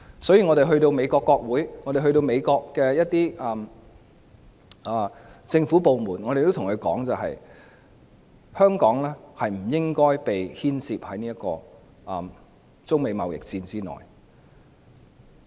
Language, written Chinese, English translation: Cantonese, 所以，我們到訪美國國會及一些政府部門時，也對他們說香港不應該被牽涉在中美貿易戰之內。, Thus in our visits to overseas parliaments and government departments we will tell the people concerned that Hong Kong should not be implicated in the Sino - United States trade war